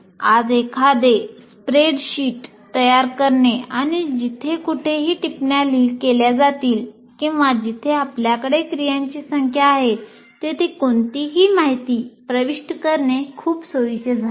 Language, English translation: Marathi, Today, it's very convenient on the the laptop you can create a spreadsheet and keep entering whatever information, whatever, wherever comments are made, not comments, wherever you are having numbers for various activities